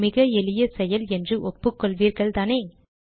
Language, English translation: Tamil, Wouldnt you agree that this is an extremely simple procedure